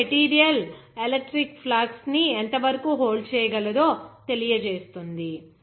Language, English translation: Telugu, It expresses the extent to which the material can hold electric flux